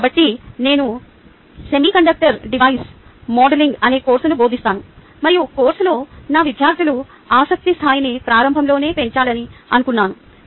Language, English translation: Telugu, so i teach a course called semiconductor device modeling and i wanted to increase the interest level of my students in the course right at the beginning